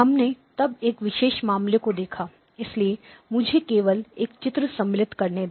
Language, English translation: Hindi, We then looked at a special case, so let me just insert a picture okay